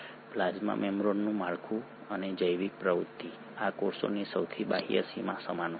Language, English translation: Gujarati, The structure and the biological activity of the plasma membrane, the outermost boundary of these cells is similar